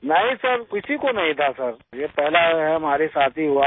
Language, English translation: Hindi, No sir, nobody had sir, this has happened first with me only